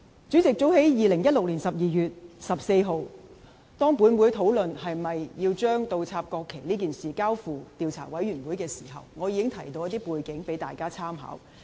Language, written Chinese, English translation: Cantonese, 主席，早在2016年12月14日，當本會討論是否要將倒插國旗事件交付調查委員會時，我已提到一些背景供大家參考。, President on 14 December 2016 when the Council was discussing whether or not the incident of inverting the national flags should be referred to an investigation committee I already provided some background information for the reference of Honourable colleagues